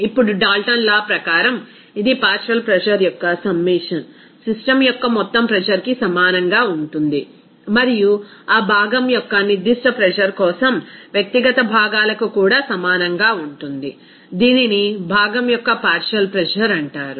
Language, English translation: Telugu, Now, according to Dalton’s law, this the summation of partial pressure will be equal to the total pressure of the system and also for individual components for that particular pressure of that component that is called partial pressure of the component